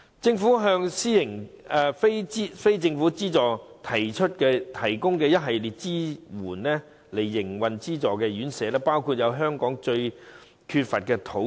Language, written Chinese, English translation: Cantonese, 政府向非政府機構提供一系列營運資助院舍的支援，包括香港最為缺乏的土地。, The Government now provides a series of support for NGOs operating subsidized homes including the provision of land the scarcest resource in Hong Kong